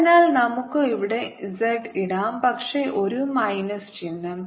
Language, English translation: Malayalam, so we can put z here, but on minus sin